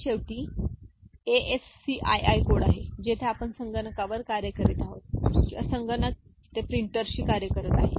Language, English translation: Marathi, And finally, this is ASCII code where whatever we are working in the computer or the computer is talking to a printer and all